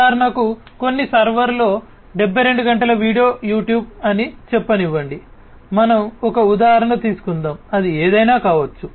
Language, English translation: Telugu, For example, some 72 hours of video on some server such as let us say YouTube; let us just take for example, it could be anything